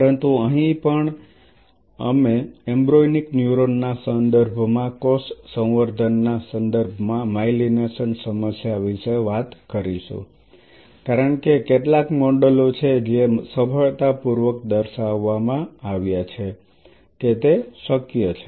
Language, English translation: Gujarati, But here also we will talk about the myelination problem with respect to the cell culture context with respect to embryonic neuron because these are some of the models which has been successfully demonstrated that it is possible